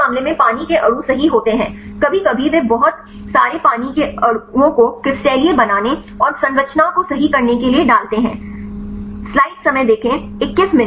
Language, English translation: Hindi, So, then second case the water molecules right sometimes they put lot of water molecules, to crystalize and to solve the structure right